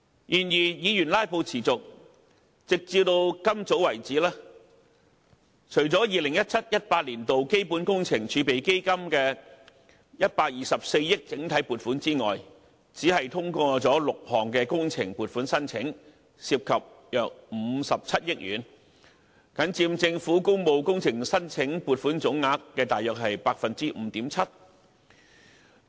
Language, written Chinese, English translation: Cantonese, 然而，議員"拉布"持續，直至今早為止，除了 2017-2018 年度基本工程儲備基金的124億元整體撥款之外，只通過了6項工程撥款申請，涉及約57億元，僅佔政府工務工程申請撥款總額約 5.7%。, However as filibuster continues up to this morning besides the 12.4 billion block allocation of the 2017 - 2018 Capital Works Reserve Fund CWRF only six funding requests amounting to 5.7 billion have been passed . They only account for about 5.7 % of the total amount of the current funding proposals